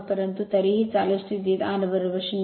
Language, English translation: Marathi, So, but anyway R is equal to 0 at running condition